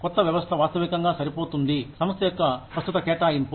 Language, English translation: Telugu, New system should fit realistically, into the existing allocation of the company